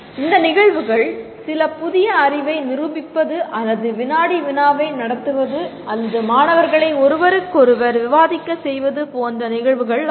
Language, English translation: Tamil, The events could be like demonstrating some new knowledge or conducting a quiz or asking the students to discuss with each other